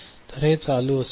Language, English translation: Marathi, So, this will be ON